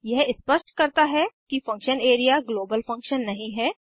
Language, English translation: Hindi, It specifies that function area is not a global function